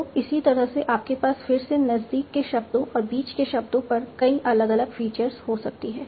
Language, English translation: Hindi, So like that you can have again have many different features on the neighboring words and the words in between